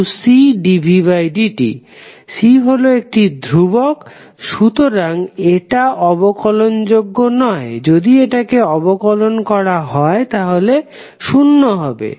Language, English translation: Bengali, C is a constant, so they cannot differentiate, if you differentiate it will become zero